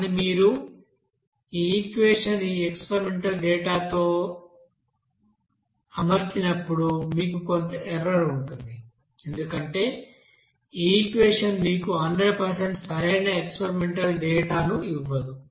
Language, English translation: Telugu, But whenever you will be fitting these experimental data with this equation you will have some error, because this equation will not give you that 100 percent correct data of that experimental data